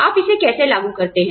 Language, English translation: Hindi, How you apply it